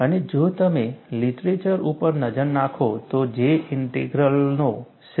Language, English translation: Gujarati, And if you look at the literature, the J Integral is credited to J